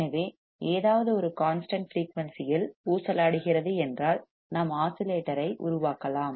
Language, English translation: Tamil, So, if something is oscillating at a constant frequency, we can generate oscillator